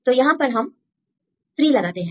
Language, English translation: Hindi, So, we put 3 here